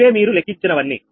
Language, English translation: Telugu, this is your all calculated